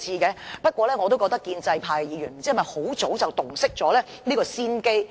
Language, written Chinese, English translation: Cantonese, 然而，我也不知道建制派議員是否早已洞悉先機。, However I wonder if the pro - establishment Members had long since had the foresight to envisage these developments